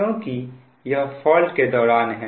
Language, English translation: Hindi, this is during fault